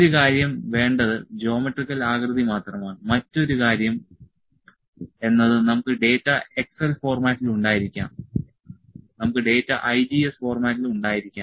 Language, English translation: Malayalam, One thing is well just have a geometrical shape another thing is we can have the data in excel format, we can have data in IGES format